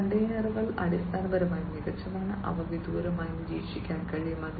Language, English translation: Malayalam, These containers are basically made smarter and they can be monitored remotely